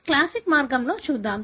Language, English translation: Telugu, Let us look into the classic way